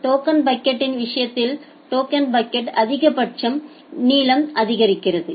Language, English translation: Tamil, Here in case of token bucket it is supporting that in case of token bucket there is a maximum burst length